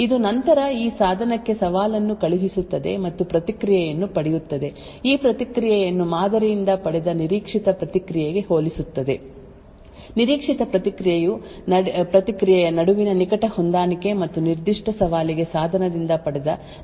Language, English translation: Kannada, It would then send out the challenge to this device and obtain the response; it would then compare this response to what is the expected response obtained from the model, close match between the expected response and the actual response obtained from the device for that particular challenge would then be used to authenticate the device